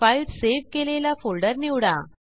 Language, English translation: Marathi, Choose the folder in which file is saved